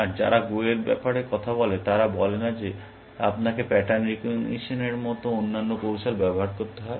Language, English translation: Bengali, And the people who talk about go; they say that no you have to use other techniques like pattern recognition